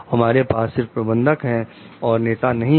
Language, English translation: Hindi, We have only managers; we do not have leaders